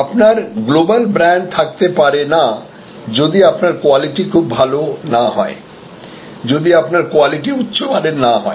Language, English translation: Bengali, You cannot have a global brand, if your quality is not very good, if your quality is not superlative